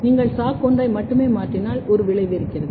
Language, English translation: Tamil, If you only mutate SOC1, there is a effect